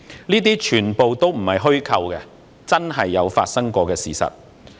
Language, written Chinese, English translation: Cantonese, 這些全部都並非虛構，是真的發生過的事實。, None of these are fabrication . They are true stories which have happened